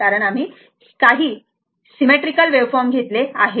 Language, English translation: Marathi, We have taken some wave form, but symmetrical